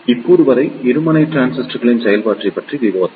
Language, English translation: Tamil, Till now, we just discussed about the operation of the bipolar transistor